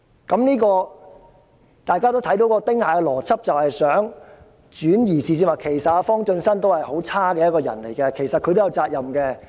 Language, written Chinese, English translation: Cantonese, "由此可見，"丁蟹邏輯"是要轉移視線，指摘方進新是一個很差勁的人，所以他亦應負上責任。, We can see that the Ting Hai logic is to divert attention . As FONG Chun - sun was a villain he should also bear the responsibility